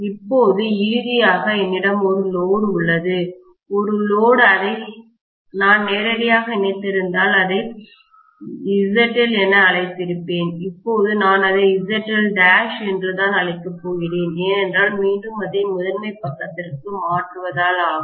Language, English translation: Tamil, Now, finally I am going to have a load, a load if I connect it directly, I would have called that as ZL, now I am going to call that as ZL dash because I am transferring it over to the primary side again, right